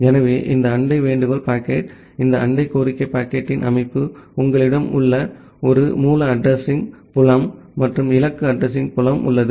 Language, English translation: Tamil, So, this neighbor solicitation packet, this is the structure of the neighbor solicitation packet, you have a source address field and the destination address field